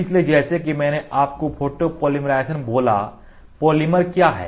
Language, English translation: Hindi, So, as I told you polymerization, polymerization is What is polymer